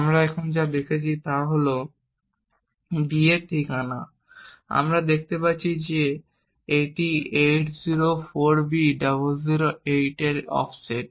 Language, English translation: Bengali, So now we will also look at what the address of d is xd and what we see is that d has a value 804b008